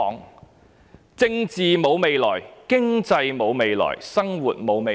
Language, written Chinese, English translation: Cantonese, 我們的政治沒有未來、經濟沒有未來、生活沒有未來。, There is no future for our politics our economy and our life